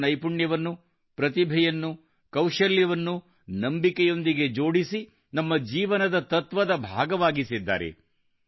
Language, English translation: Kannada, They have interlinked skill, talent, ability with faith, thereby making it a part of the philosophy of our lives